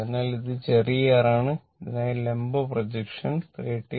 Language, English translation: Malayalam, So, this is small r right and this for this , vertical projection is 39